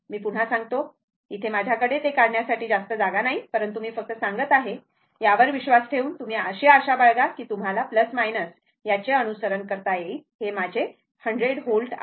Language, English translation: Marathi, I repeat again; I mean, I do not have much space here for drawing it; but, just let me tell you, making at on it hope, you will hope you will follow this this is plus minus; this is my 100 volt, right